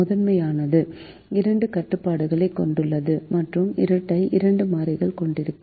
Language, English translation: Tamil, the primal has two constraints and the duel will have two variables